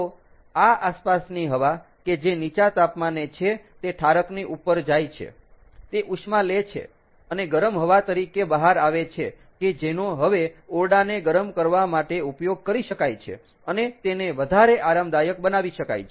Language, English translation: Gujarati, so as this ambient air, which is at a lower temperature, goes over the condenser, it picks up heat and comes out as heated air which can now be used to you heat up the room and make it more comfortable and simulate the evaporator end